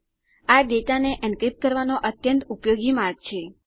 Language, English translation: Gujarati, It is a very useful way of encrypting data